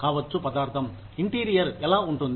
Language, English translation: Telugu, It may matter, what the interiors look like